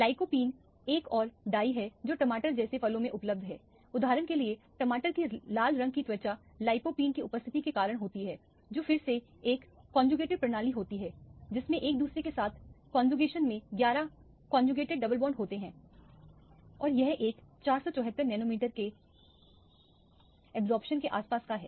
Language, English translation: Hindi, Lycopene is another dye which is available in fruits like tomato for example, the skin of tomato the red color is due to the presence of lycopene which is again a conjugated (Refer Time: 29:18) system with 11 conjugated double bonds in conjugation with each other and that as an absorption around 474 nanometer